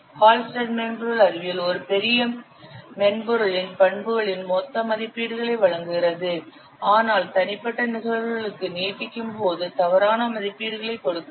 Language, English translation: Tamil, Hullstreet software science provides gross estimates of properties of a large collection of software but extends to individual cases rather than inaccurately